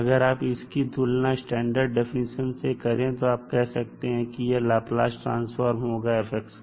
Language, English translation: Hindi, So if you compare with the standard definition you can simply say that this is the Laplace transform of fx